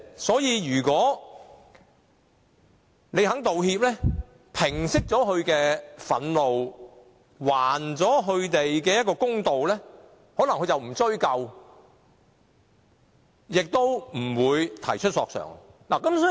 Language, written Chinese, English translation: Cantonese, 所以，如果對方願意道歉，平息他的憤怒，還他一個公道，他可能便不會追究，亦不會提出索償。, So if one of the parties is willing to apologize to allay their anger and do them justice they will not pursue the matter any further or make a claim